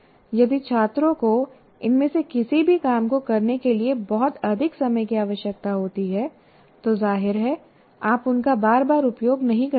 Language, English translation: Hindi, If students require a lot of time to do any of these things, obviously you cannot frequently use